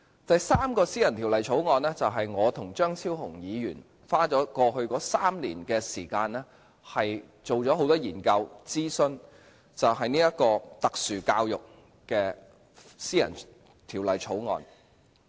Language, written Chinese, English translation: Cantonese, 第三項私人條例草案，就是我和張超雄議員花了過去3年時間，進行了很多研究和諮詢，有關特殊教育的私人條例草案。, For the third private bill it is a private bill concerned with special education on which Dr Fernando CHEUNG and I have conducted many researches and consultation exercises over the last three years